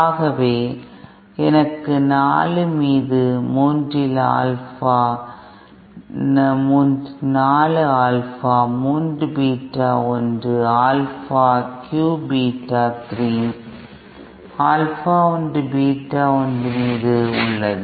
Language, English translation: Tamil, And this relationship can simply be written asÉ So I have 3 upon 4 Alpha 3 Beta 1 + Alpha 1 cube Beta 3 upon Alpha Beta 1